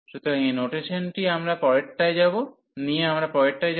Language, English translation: Bengali, So, with this notation we move now